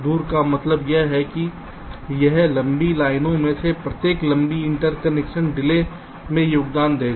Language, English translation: Hindi, lets say far apart means this: each of this long lines will contribute to a long interconnection delay